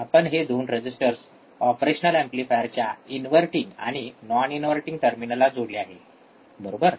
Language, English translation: Marathi, yes so, these 2 resistors are the resistors connected to inverting and non inverting terminal of the operational amplifier, correct